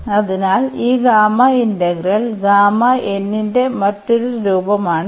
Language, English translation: Malayalam, So, this is another form of this gamma integral which we will use now